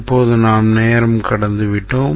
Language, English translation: Tamil, Now we are running out of time